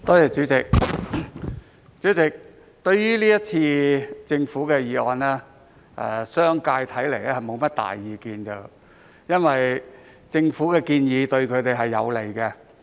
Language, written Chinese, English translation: Cantonese, 主席，對於政府提出的議案，看來商界並無多大意見，因為政府的建議對他們有利。, Chairman it seems that the business sector does not disagree much with the motion proposed by the Government because the Governments proposal is beneficial to them